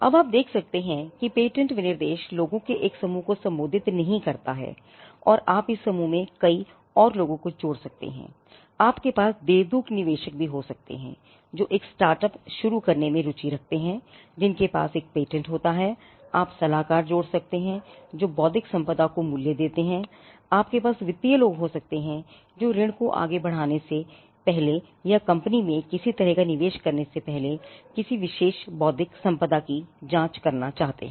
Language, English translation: Hindi, Now, you can see that patent specifications are not addressed to one set of people and you could add many more to this group, you can have angel investors who are interested in looking at a startup which has a patent, you could add consultants who would value intellectual property intellectual property value verse, you could have financial people who want to gauge a particular intellectual property before advancing a loan or before giving making some kind of an investment into the company